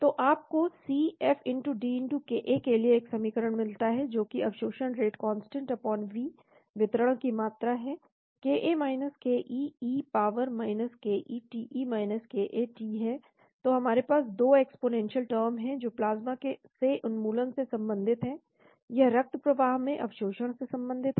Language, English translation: Hindi, So you get a equation for C F*D*ka, that is the absorption rate constant/V volume of distribution ka ke e power ke t e ka t , so we have a 2 exponential term this is relating to elimination from the plasma, this is related to the absorption into the bloodstream